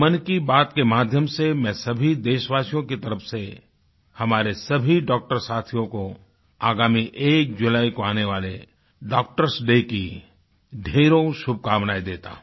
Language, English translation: Hindi, Through Mann Ki Baat I extend my warmest felicitations on behalf of the countrymen to all our doctors, ahead of Doctor's Day on the 1st of July